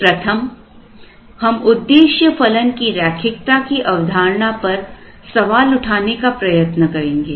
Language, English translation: Hindi, Let us first try and question the linearity assumption in the objective function